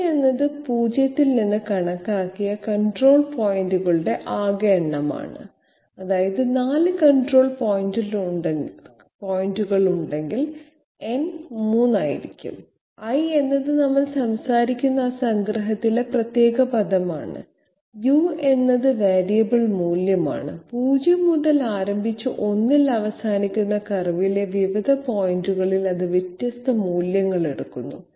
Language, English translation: Malayalam, n is the total number of control points counted from 0 that means if there are 4 control points, n will be 3, i is that particular term in that submission that we are talking about, u is the variable value, it takes up different values at different points on the curve starting from 0 and ending in 1